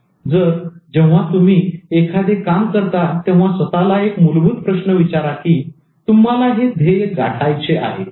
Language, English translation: Marathi, So when you do something, ask the very basic question, do you want this goal